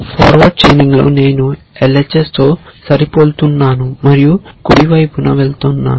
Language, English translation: Telugu, In forward chaining, I match the LHS and go to the right hand side